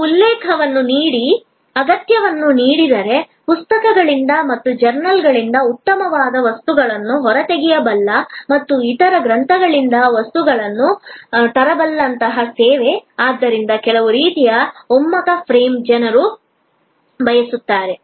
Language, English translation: Kannada, Services like given a reference, given a requirement, a service which can pull out necessary material from books and from journals and can bring material from other libraries, so some sort of convergent frame people wanted